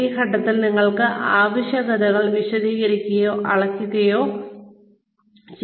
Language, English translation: Malayalam, At this point you explain, quantify or qualify requirements